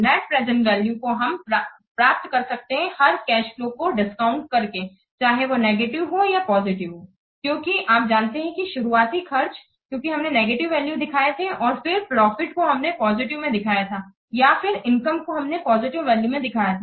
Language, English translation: Hindi, The net present value can be obtained by discounting each cash flow both whether it is negative or positive because you know the initial expenses that we represent as negative value and then the profit we represent in terms of the positive or the income that we represent as positive what values